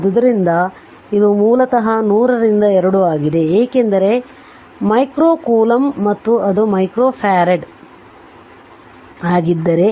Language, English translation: Kannada, So, it is basically 100 by 2 because if the micro coulomb and it is micro farad